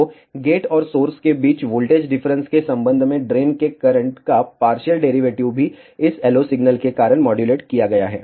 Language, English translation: Hindi, So, partial derivative of the drain current with respect to the voltage difference between gate and source is also modulated because of this LO signal